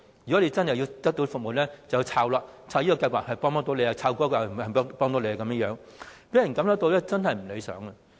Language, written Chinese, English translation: Cantonese, 如果真的要得到服務，就要搜尋資料，看看哪個計劃能幫到你，讓人感覺真的是不理想。, If elderly people really want to get the service they want they will have to do some sleuthing jobs and see which scheme can help them